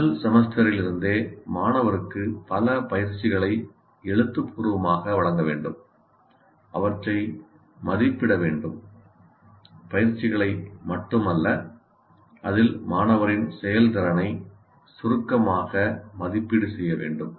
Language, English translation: Tamil, And right from the first semester, the student should be given several exercises in writing and value them, just not giving the exercises, but there should be, there should be a summative assessment of the performance of the student in that